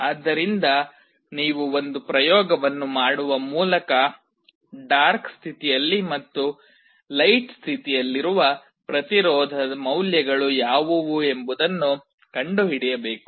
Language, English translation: Kannada, So, you will have to do an experiment and find out what are the resistance values in the dark state and in the light state